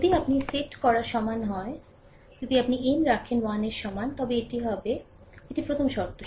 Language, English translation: Bengali, If you put n is equal to if you put n is equal to 1, then it will be minus this one first term, right